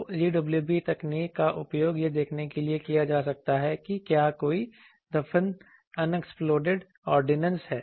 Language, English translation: Hindi, So, UWB technology can be utilized for seeing whether there is any buried unexploded ordinance